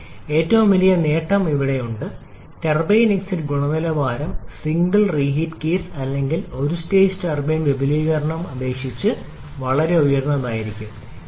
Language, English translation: Malayalam, But the biggest gain is here, the turbine exit quality will be significantly higher compared to a single reheat case or I should say a single stage turbine expansion